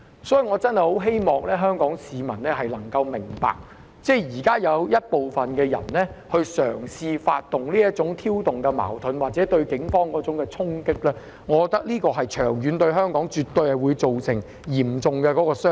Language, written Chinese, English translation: Cantonese, 所以，我真的希望香港市民能夠明白，現時有部分人嘗試挑動這種矛盾或對警員作出衝擊，長遠而言絕對會對香港造成嚴重傷害。, Therefore I really hope the Hong Kong public will understand that some people are currently trying to provoke this sort of conflict with or assaults on the Police . In the long run this will do serious harm to Hong Kong